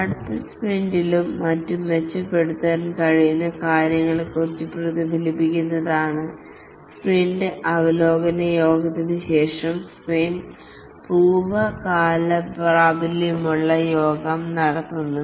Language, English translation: Malayalam, The sprint retrospective meeting is conducted after the sprint review meeting just to reflect on the things that have been done what could be improved to be taken up in the next sprint and so on